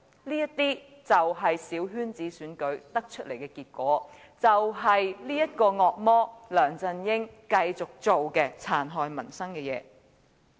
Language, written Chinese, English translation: Cantonese, 這就是小圈子選舉引致的結果，亦是這個惡魔梁振英繼續做出的殘害民生的事情。, This is the outcome of the coterie election . This is what the devil LEUNG Chun - ying has continued to do to harm the peoples livelihood